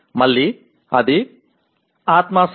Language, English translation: Telugu, Again it is subjective